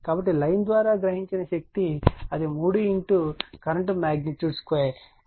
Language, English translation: Telugu, So, power absorbed by the line is it is 3 into current square right magnitude 6